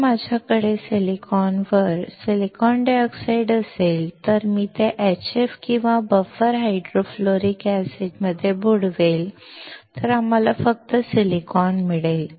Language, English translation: Marathi, If I have a silicon dioxide on silicon and if I dip it in HF or buffer hydrofluoric acid, we will find only silicon